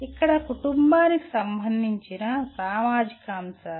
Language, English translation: Telugu, Here social factors that is the family related issues